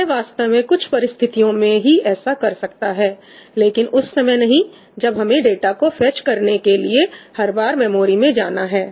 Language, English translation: Hindi, It can actually do that under certain conditions , not when you have to go to the memory every time to fetch your data